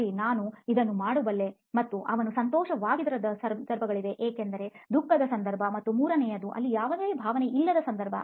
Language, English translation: Kannada, okay that I could do this and there are times when he is not so happy, meaning sad and you jot that down and there is a third one where there is no emotion